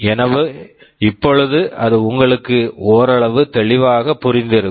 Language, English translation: Tamil, So, now it must be somewhat clear to you